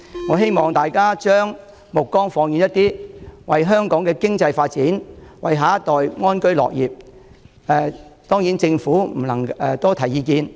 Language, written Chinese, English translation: Cantonese, 我希望大家將目光放遠一點，為香港經濟發展、為下一代安居樂業多提意見。, I hope colleagues will take a longer view and offer comments for the sake of Hong Kongs economic development and for enabling our next generation to live and work in contentment